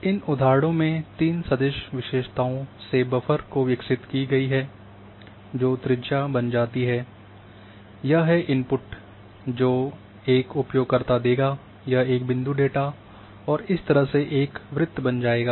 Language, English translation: Hindi, So, these are the examples of a three vector features having buffer generation that d becomes the radius, this is the input which a user will give, this a point data and a circle is created